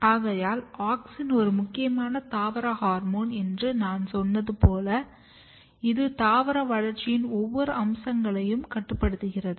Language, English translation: Tamil, So, as I said that auxin is very very important hormone plant hormone which undergo the process of; which regulates almost every aspects of plant development